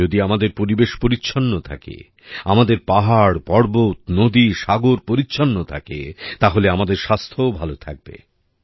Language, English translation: Bengali, If our environment is clean, our mountains and rivers, our seas remain clean; our health also gets better